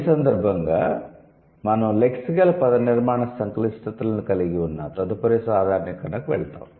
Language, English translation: Telugu, So, in this connection we will move to the next generalization that involves lexical, morphological complexities